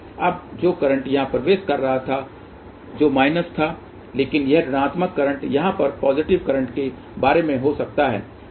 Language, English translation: Hindi, Now, the current which was entering here which was minus, but that minus current can be thing about positive current over here